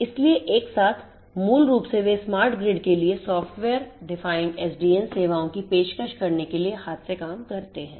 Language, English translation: Hindi, So, together basically they work hand in hand in order to offer the software defined SDN and services for smart grid